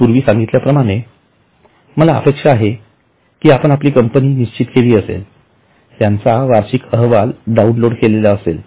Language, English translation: Marathi, As I have told you earlier, I hope you have decided about your company, download the annual report of that company, look at the balance sheet